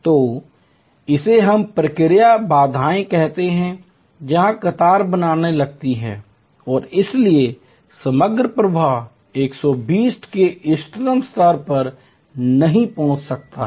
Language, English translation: Hindi, So, this is what we called in process bottle neck, where queues start forming and therefore, the overall flow cannot reach the optimal level of 120